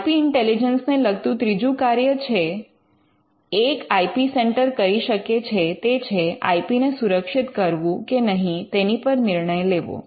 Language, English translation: Gujarati, The third thing that an IP centre can do with regard to IP intelligence is to take the call or decide whether to protect the IP